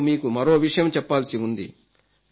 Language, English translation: Telugu, I have to say something more